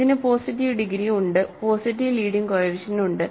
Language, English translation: Malayalam, So, it has positive degree, positive leading coefficient